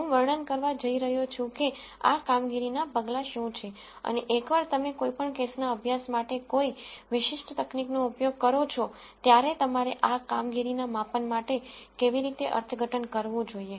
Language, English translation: Gujarati, I am going to describe what these performance measures are and how you should interpret these performance measures once you use a particular technique for any case study